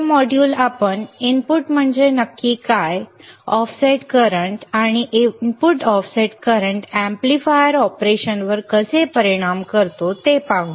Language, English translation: Marathi, This module we will see what exactly is an input, offset current and how does input offset current effects the amplifier operation right